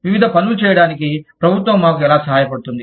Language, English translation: Telugu, How does the government help us, do various things